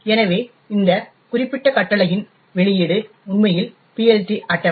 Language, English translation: Tamil, So, the output of this particular command would actually be the PLT table, the got